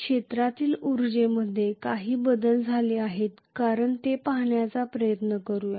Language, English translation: Marathi, Let us try to look at whether there is any change in the field energy